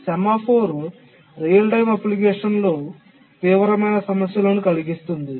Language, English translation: Telugu, The semaphore causes severe problems in a real time application